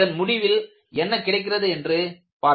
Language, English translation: Tamil, Let us see what you have as the result